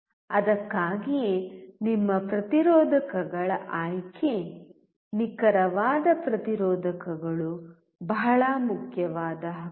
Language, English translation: Kannada, That is why the selection of your resistors, accurate resistors is extremely important right